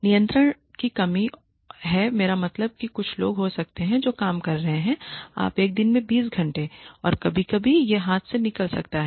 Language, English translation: Hindi, There is lack of control, I mean there could be some people who could be working you know 20 hours in a day and sometimes this could get out of hand